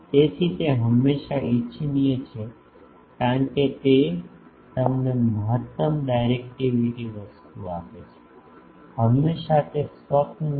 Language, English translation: Gujarati, So, that is always desirable because that gives you maximum directivity thing so, always that is a dream